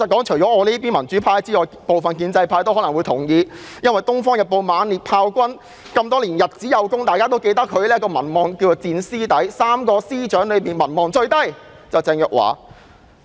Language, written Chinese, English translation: Cantonese, 除了民主派外，部分建制派可能也同意這說法，因為《東方日報》也猛烈炮轟，指鄭若驊的民望長期以來屬3名司長之中的最低。, Apart from the pro - democracy camp some in the pro - establishment camp may also agree with this because the Oriental Daily News has severely criticized Teresa CHENG for having the lowest popularity rating among the three Department Secretaries all along